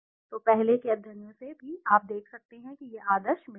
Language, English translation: Hindi, So from earlier studies also you can see this is the ideal point